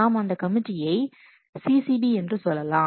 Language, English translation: Tamil, We call it a committee as a committee called as CCB